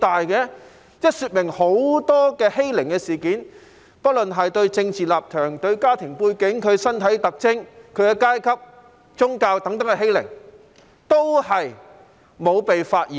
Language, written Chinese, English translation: Cantonese, 這說明有很多欺凌事件，不論是對政治立場、家庭背景、身體特徵、階級或宗教等的欺凌，也是沒有被發現的。, This indicates that many bullying incidents be it arisen from political stance family background physical characteristics class or religion etc have not been discovered